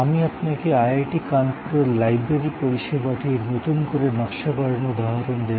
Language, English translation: Bengali, I will give you an example of the redesigning of the library service at IIT, Kanpur